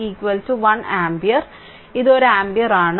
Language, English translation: Malayalam, So, this is 1 ampere